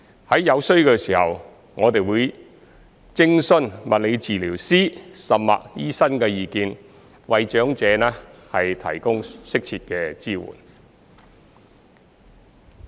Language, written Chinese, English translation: Cantonese, 在有需要時，我們會徵詢物理治療師甚或醫生的意見為長者提供適切的支援。, Where necessary we will seek advice from physiotherapists or even doctors to provide appropriate support to the elderly